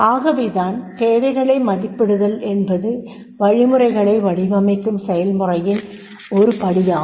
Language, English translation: Tamil, Need assessment is a first step in the instructional design process